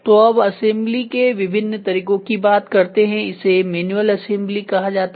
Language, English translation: Hindi, So, different methods of assembly, these are called as manual assembly